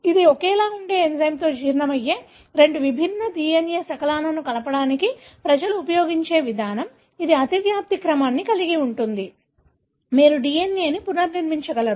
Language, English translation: Telugu, So, this is an approach people use to combine two different DNA fragments that were digested with an identical enzyme, which has an overlapping sequence; you are able to recreate the DNA